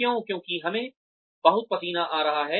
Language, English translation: Hindi, Why because, we have been sweating too much